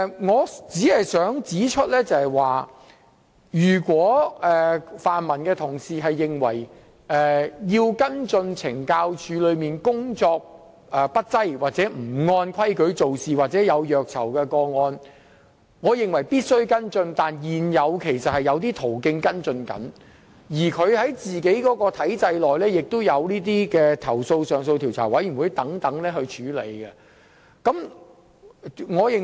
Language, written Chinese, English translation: Cantonese, 我只想指出，如泛民同事認為有需要跟進懲教署工作不濟、不按規矩做事或虐囚個案，我也認為有需要跟進，但現時其實已有途徑可以處理，而在懲教署本身的體制內，亦有投訴上訴委員會及投訴調查組等可作出跟進。, I would only like to point out that I share the views of fellow colleagues from the pan - democratic camp and consider it necessary to follow up on cases where CSD has been slack in its work or has failed to act according to the rules or cases of torturing of prisoners but there are in fact existing channels for handling such cases and different committees and department such as CSDCAB and CIU have been set up within the system of CSD to follow up the matters